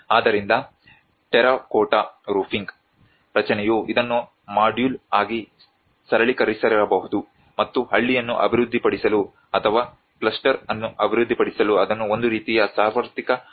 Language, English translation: Kannada, So as a terracotta roofing structure may have simplified this as a module and proposing it as a kind of universal solution to develop a village or to develop a cluster whatever it might